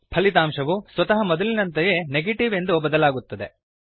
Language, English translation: Kannada, The result again automatically changes to Negative